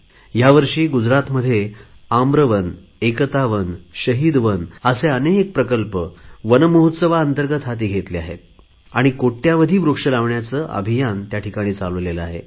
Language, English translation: Marathi, This year Gujarat has undertaken many projects like 'Aamra Van', 'Ekata Van' and 'Shaheed Van' as a part of Van Mahotsav and launched a campaign to plant crores of trees